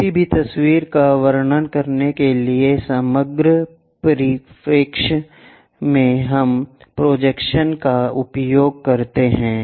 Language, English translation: Hindi, To describe about any picture, in the overall perspective we use projections